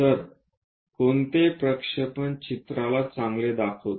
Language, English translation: Marathi, So, which projection is good to represent a picture